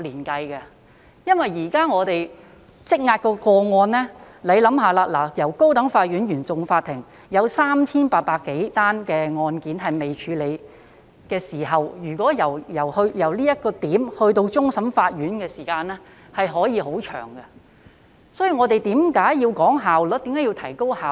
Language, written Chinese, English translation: Cantonese, 大家試想，現時我們積壓的個案，高等法院原訟法庭有 3,800 多宗未處理的案件，由這點至終審法院的時間可以很長，這就是為何我們要提高效率。, Members may envisage that the backlogs of more than 3 800 cases pending at CFI of the High Court may drag on for a very long period of time from CFI to CFA and that is why we need to improve the efficiency